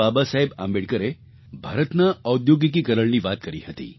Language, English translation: Gujarati, Baba Saheb Ambedkar spoke of India's industrialization